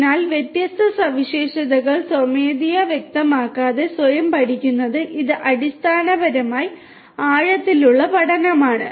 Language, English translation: Malayalam, So, learning different features automatically without manually specifying them this is basically the deep learning